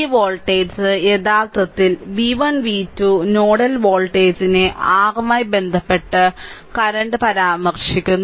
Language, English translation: Malayalam, So, this this voltage actually v 1 v 2 the nodal voltage with respect to the your with reference to the ground right